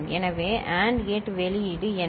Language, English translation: Tamil, So, what is the AND gate output